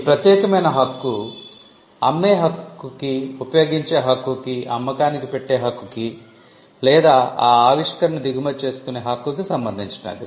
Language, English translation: Telugu, The exclusive right pertains to the right to make sell, use, offer for sale or import the invention